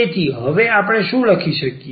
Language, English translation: Gujarati, So, what we can write down now